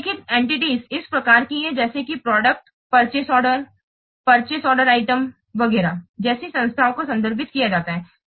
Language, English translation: Hindi, Entities reference these types are entities are referred like product, purchase order, supplier, purchase order item, etc